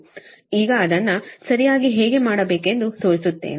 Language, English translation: Kannada, now i will show you how to do it, right